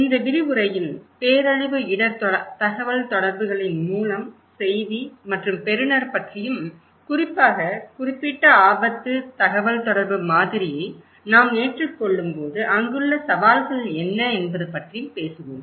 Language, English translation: Tamil, In this lecture, we will talk about source, message and receiver in disaster risk communication, particularly, what are the challenges there when we adopt particular risk, communication model